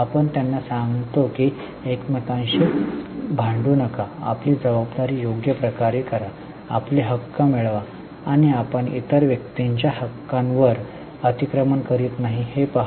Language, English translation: Marathi, We tell them that don't fight with each other, do your responsibility properly, get your rights and see that you don't encroach on other person's rights